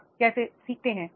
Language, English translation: Hindi, How do you learn